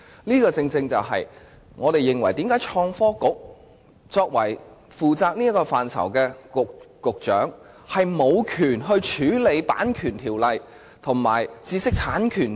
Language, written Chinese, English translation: Cantonese, 這正正是我們為何質疑負責這範疇的創新及科技局局長竟無權處理《版權條例》及知識產權法。, This is exactly why we have queried the lack of power of the Secretary for Innovation and Technology who is responsible for this field to deal with the Copyright Ordinance and intellectual property rights law